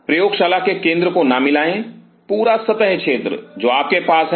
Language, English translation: Hindi, Do not kind of mesh up the center of the lab the whole surface area what you are having